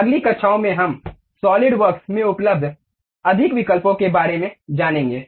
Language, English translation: Hindi, In next classes, we will learn about more options available at Solidworks